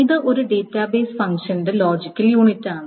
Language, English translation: Malayalam, So, it's a logical unit of a database function